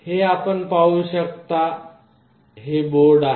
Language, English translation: Marathi, This is the overall board you can see